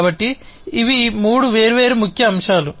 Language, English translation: Telugu, So, these are the three different key elements